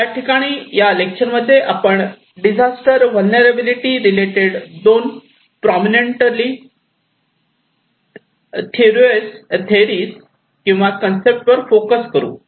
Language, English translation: Marathi, Here, in this lecture, we will focus on these two such prominent early theories or concepts on disaster vulnerability